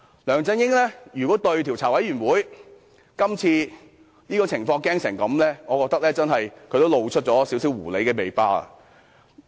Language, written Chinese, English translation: Cantonese, 梁振英如果如此害怕專責委員會今次的調查，我覺得他露出了一點狐狸尾巴。, If LEUNG Chun - ying is so scared of the inquiry to be carried out by the Select Committee he has actually revealed his foxs tail